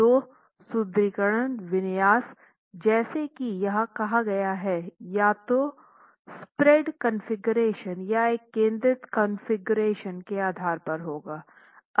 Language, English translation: Hindi, So, the reinforcement configuration as stated here, we are looking at either a spread configuration or a concentrated configuration